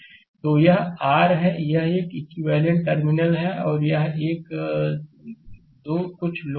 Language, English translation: Hindi, So, that is your this is an equivalent suppose terminal 1 and 2 some load is there